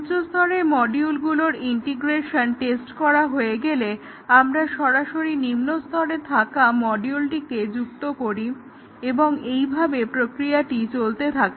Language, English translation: Bengali, And then once we have this top level module integration tested, we add the immediate subordinate module and so on